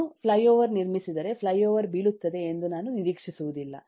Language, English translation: Kannada, if I construct a flyover, I would not expect the flyover to fall over